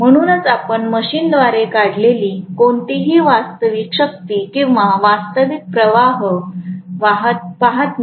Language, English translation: Marathi, That is why you are not seeing any real power or real current being drawn by the machine